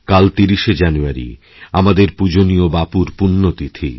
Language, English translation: Bengali, Tomorrow is 30th January, the death anniversary of our revered Bapu